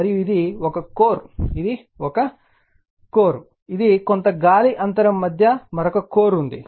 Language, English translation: Telugu, And this one core, this is another core in between some air gap is there